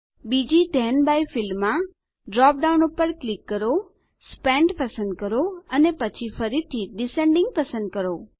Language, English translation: Gujarati, In the second Then by field, click on the drop down, select Spent and then, again select Descending